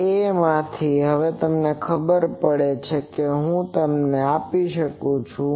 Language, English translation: Gujarati, So, from this A you now find out I would that so that will give you